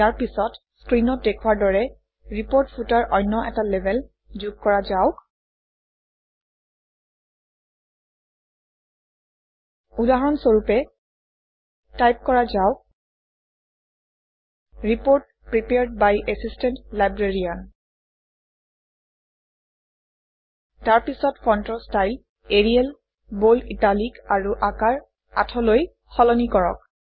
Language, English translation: Assamese, Next, let us add another label to the report footer as shown on the screen ltpausegt For example, lets type, Report Prepared by Assistant Librarian ltpausegt and then change the font style to Arial, Bold Italic and Size 8